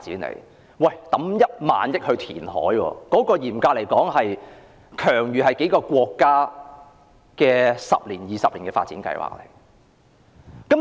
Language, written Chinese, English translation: Cantonese, 政府投資1萬億元進行填海工程，這筆開支等於數個國家十多二十年的發展計劃。, The amount of 1 trillion invested by the Government in the reclamation project is equivalent to the expenditure spent by a number of countries on development for 10 to 20 years